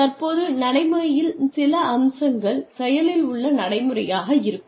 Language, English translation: Tamil, Now, some aspects of practice are active practice